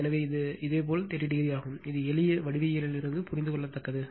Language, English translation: Tamil, So, this is your 30 degree this is understandable from simple geometry, this is understandable